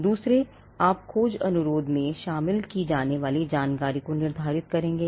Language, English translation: Hindi, Secondly, you will stipulate the information that needs to be included in the search request